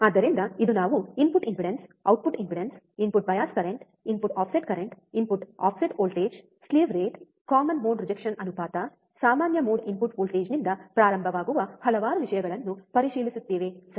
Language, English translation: Kannada, So, today we will check several things in the in the experiment starting with the input impedance, output impedance, input bias current, input offset current, input offset voltage, slew rate, common mode rejection ratio, common mode input voltage so, several things are there right